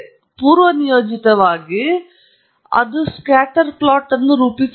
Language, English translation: Kannada, And by default, it may plot a scatter plot